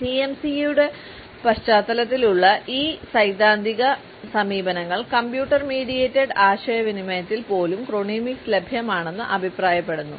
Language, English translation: Malayalam, These theoretical approaches in the context of CMC have suggested that chronemics is available even in computer mediated communication